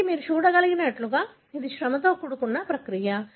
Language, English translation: Telugu, So this, as you can see is a laborious process